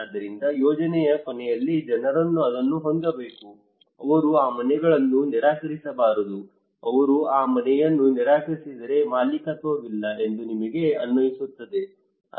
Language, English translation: Kannada, So in the end of the project people should own it they should not refuse that houses, if they refuse that houses we feel that there is no ownership